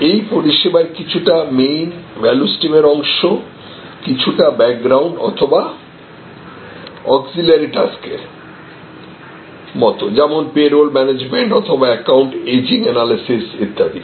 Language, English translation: Bengali, Some of those services are part of the main value stream some of the services are sort of background or auxiliary tasks like payroll management or account ageing analysis and so on